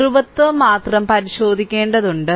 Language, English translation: Malayalam, So, only polarity you have to check